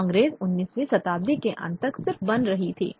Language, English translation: Hindi, The Congress was just about being formed by the end of the 19th century